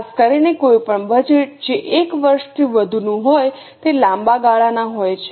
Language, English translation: Gujarati, Typically any budget which is for more than one year is long term